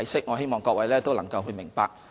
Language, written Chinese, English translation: Cantonese, 我希望各位能夠明白。, I hope Members can understand this